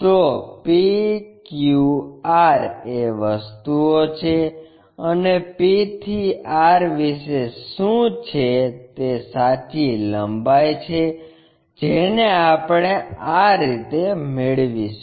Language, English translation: Gujarati, So, p q r are the things and what about the p to r that true length we will get it in this way